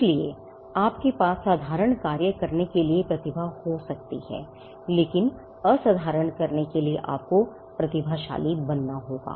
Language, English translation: Hindi, So, you could have talent to do ordinary tasks, but to do the extraordinary you had to be a genius